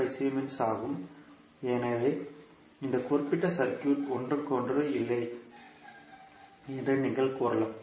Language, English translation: Tamil, 25 Siemens, so you can say that this particular circuit is not reciprocal